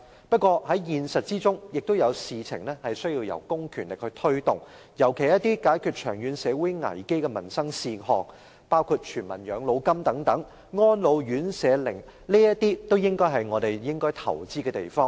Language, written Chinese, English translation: Cantonese, 不過，現實中也有事情需要公權力推動，尤其是一些解決長遠社會危機的民生事項，包括全民養老金和安老院舍等，也是我們應該投資的地方。, Nonetheless in reality public power is required in promoting certain initiatives particularly in addressing peoples livelihood issues posting long - term risks to society . We should invest in areas including universal old age pension and residential care homes for the elderly